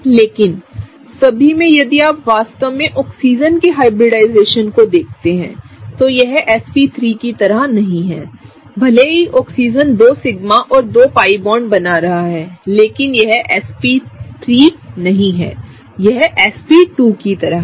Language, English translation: Hindi, But in all if you really see the hybridization of Oxygen, it is not like sp3; even though the Oxygen is forming two sigma and two pi bonds, right; it is not like sp3, but it is more like sp2